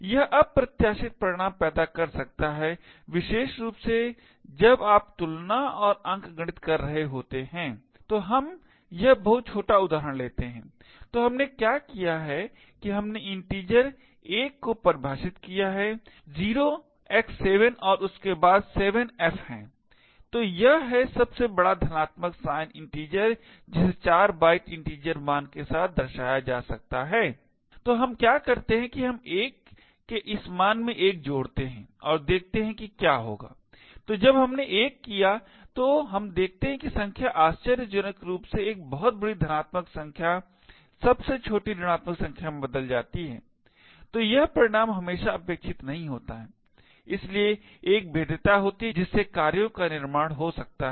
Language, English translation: Hindi, This can lead to unexpected results especially when you are doing comparisons and arithmetic, so let us take this very small example so what we have done is that we have defined the integer l to be 0 x 7 followed by 7 fs, so this is the largest positive sign integer that can be represented with a 4 byte integer value, so what we do is we add 1 to this value of l and see what would happen, so when we do had 1 what we see is that the number surprisingly changes from a very large positive number to the smallest negative number, so this result is not always expected and therefore is a vulnerability which could lead to creation of exploits